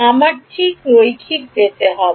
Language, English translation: Bengali, We will get linear exactly